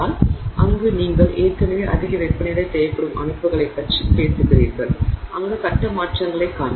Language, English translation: Tamil, So, there you are already stocking systems that, you know, require much higher temperatures where we will see phase changes